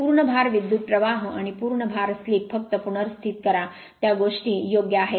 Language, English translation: Marathi, Full load your full load current and full load slip just replace by those things right